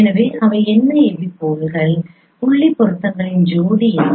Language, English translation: Tamil, So what are those what is that pair of point correspondences that is the epipoles